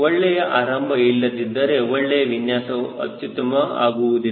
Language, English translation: Kannada, a good design, unless it has a good beginning, it can never become excellent right